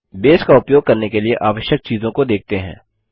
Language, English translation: Hindi, Let us look at the Prerequisites for using Base